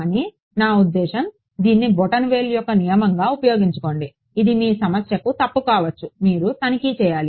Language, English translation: Telugu, But I mean just use this as a rule of thumb it may be wrong also for your problem you should check ok